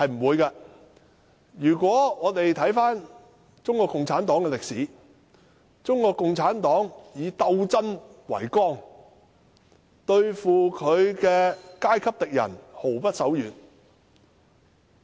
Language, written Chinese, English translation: Cantonese, 回顧中國共產黨的歷史，中國共產黨以鬥爭為綱，對付其階級敵人毫不手軟。, Looking back at the history of the Communist Party of China CPC we will know that CPC takes class struggle as the framework and will never be kind to its class enemies